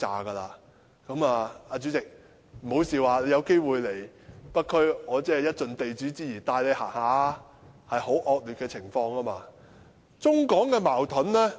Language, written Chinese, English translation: Cantonese, 代理主席，請不要笑，你有機會來北區的話，我會盡地主之誼帶你去走一走，情況真的非常惡劣。, Deputy President please do not laugh . If you visit North District I will as the host show you around . The situation is really bad